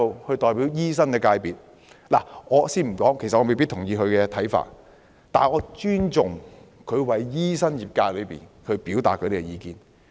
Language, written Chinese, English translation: Cantonese, 他作為醫生的代表，雖然我未必認同他的看法，但我尊重他為醫生業界表達意見。, He was the representative of medical practitioners . Although I do not see eye to eye with him I respect him for representing the views of the Medical FC